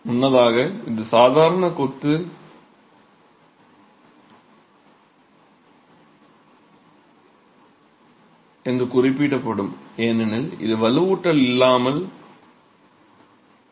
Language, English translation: Tamil, Earlier this would just be referred to as ordinary masonry because it's without reinforcement